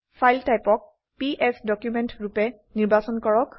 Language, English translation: Assamese, Select the File type as PS document